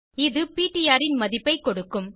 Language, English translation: Tamil, This is will give the value of ptr